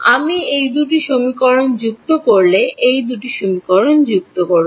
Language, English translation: Bengali, Add these two equations if I add these two equations